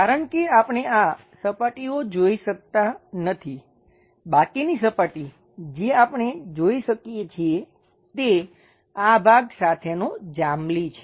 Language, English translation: Gujarati, Because we cannot see these surfaces, the rest of the surface what we can see is this purple one along with this part